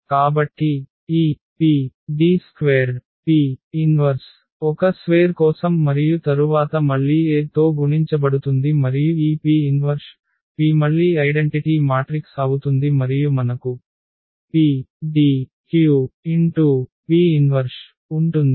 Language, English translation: Telugu, So, this PD square P inverse that is for A square and then again multiplied by A and this P inverse P will again become the identity matrix and we will have PDQ P inverse